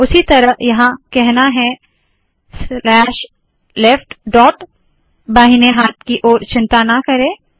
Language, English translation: Hindi, Similarly , here we have to say slash left dot, dont worry about the left here